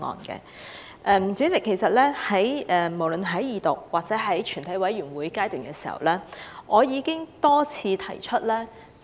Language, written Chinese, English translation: Cantonese, 主席，無論是在《條例草案》二讀或在全體委員會審議階段時，我已多次提出意見。, President I have given views for a few times in the Second Reading debate and the Committee stage of the Bill